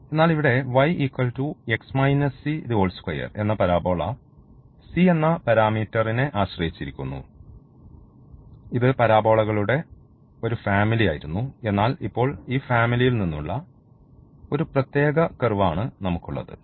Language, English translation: Malayalam, But here that parabola depends on this parameter it was a family of the parabolas, but now we have a particular curve out of this family